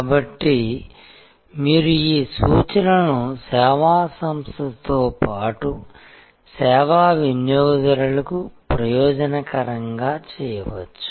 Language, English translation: Telugu, So, you can therefore, make these references beneficial to the service organization as well as the service customer